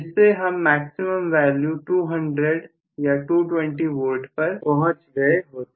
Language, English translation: Hindi, I would have reached maximum value of actually 200 or 220 V